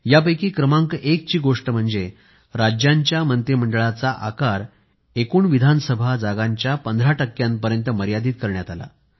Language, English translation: Marathi, First one is that the size of the cabinet in states was restricted to 15% of the total seats in the state Assembly